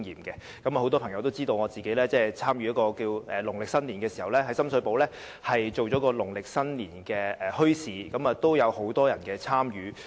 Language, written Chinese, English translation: Cantonese, 很多朋友也知道，我曾經在農曆新年時，於深水埗參與舉辦一個農曆新年墟市，當時亦有很多人參與。, Many of my friends knew that I once held a Lunar New Year Bazaar in Sham Shui Po in which many people participated